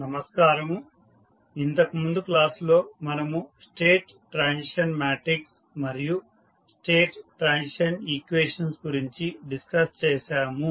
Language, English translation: Telugu, Namaskar, so in last class we discussed about the state transition matrix and the state transition equations